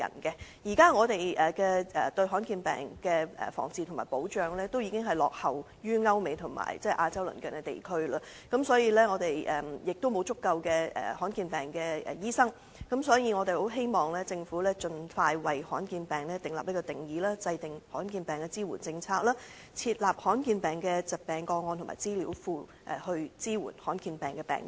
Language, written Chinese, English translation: Cantonese, 香港對罕見疾病的防治和保障已落後於歐美和亞洲鄰近地區，亦沒有足夠醫治罕見疾病的醫生，所以，我們希望政府盡快為罕見疾病訂立定義和制訂罕見疾病的支援政策，設立罕見疾病的疾病個案和資料庫，以支援患上罕見疾病的病人。, Hong Kong has already lagged behind Europe and America as well as the neighbouring Asian countries in the prevention and cure of and protection against rare diseases . Neither do we have sufficient doctors specializing in the treatment of rare diseases . Hence I hope that the Government could expeditiously give an official definition for rare diseases and draw up relevant supportive measures including building up a database of rare diseases to support patients suffering from such diseases